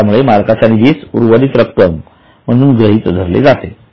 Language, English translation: Marathi, That is why owners fund is considered as a residual interest